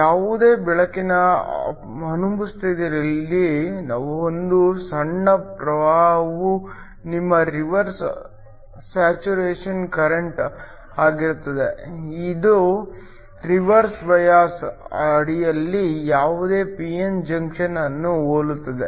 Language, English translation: Kannada, In the absence of any light there will be a small current which is your reverse saturation current, which is similar to any p n junction under reverse bias